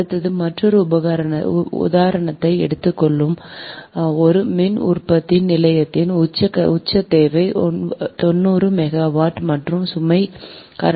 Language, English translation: Tamil, next will take another example: right, a peak demand of a generating station is ninety megawatt and load factor is point six